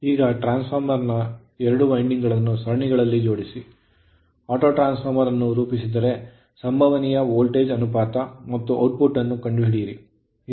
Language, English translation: Kannada, Now if the 2 windings of the transformer are connected in series to form as auto transformer find the possible voltage ratio and output right